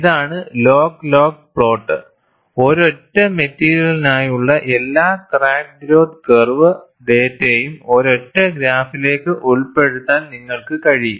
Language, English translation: Malayalam, This is the log log plot and you are able to fit all the crack growth curve data for a single material into a single graph